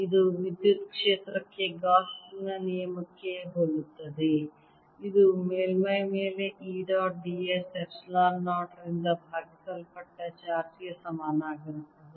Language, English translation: Kannada, this is similar to gauss's law for electric field that said that over a suface, e dot d s was equal to charge enclose, divided by epsilon zero